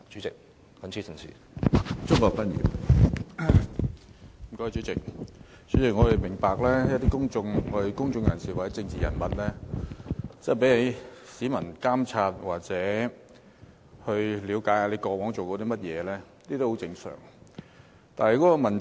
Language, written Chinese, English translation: Cantonese, 主席，我們明白公眾人士或政治人物受市民監察，了解他們過往做過甚麼，是十分正常的。, President we understand that public figures or political figures are subject to public oversight and it is very normal to inspect what they did in the past